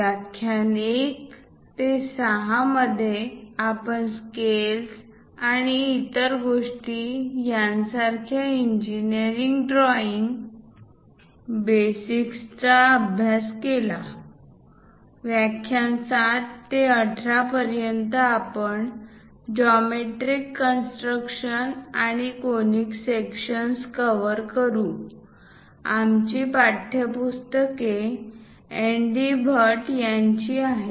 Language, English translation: Marathi, In the lecture 1 to 6, we have covered the basics of engineering drawing like scales and other things, from lecture 7 to 18; we will cover geometry constructions and conic sections; our textbooks are by N